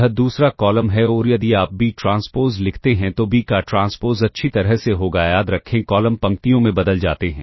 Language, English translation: Hindi, So, this is the first column this is the second column and ah if you write b transpose into a that will be well transpose of b remember columns becomes rows